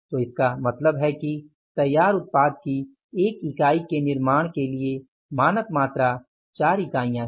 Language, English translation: Hindi, So, it means the standard quantity is the 4 units for manufacturing the 1 unit of the finished product